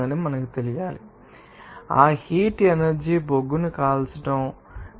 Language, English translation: Telugu, So, that heat energy is produced by simply you know burning of coal